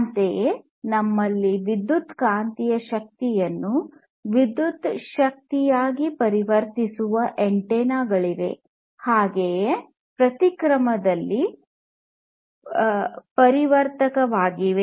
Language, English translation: Kannada, Similarly, we have antennas which will convert electromagnetic energy into electrical energy and vice versa